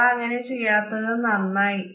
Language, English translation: Malayalam, I am glad you did not, thank you